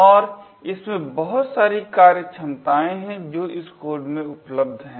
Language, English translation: Hindi, And, there are a lot of functionalities which are present in this code